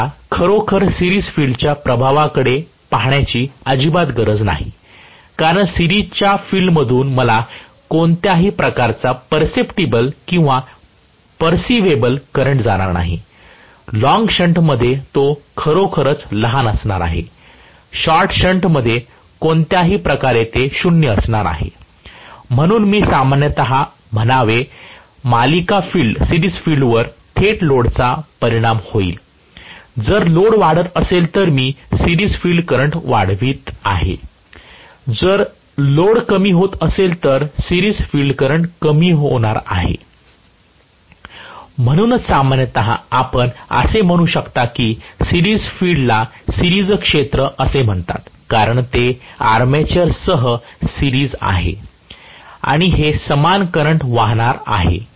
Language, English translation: Marathi, So, I do not have to really look at the series field influence at all because I am not going to have any perceptible or perceivable current through the series field, it is going to be really really small whether it is long shunt, in short shunt any way it is going to be 0, so I should say in general, the series field will be directly affected by the load if the load increases I am going to have the series field current increasing, if the load is decreasing the series field current is going to decrease